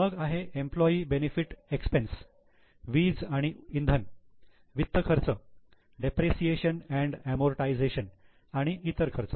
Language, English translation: Marathi, Then employee benefit expense, power and fuel, finance cost, depreciation and amortization and other expenses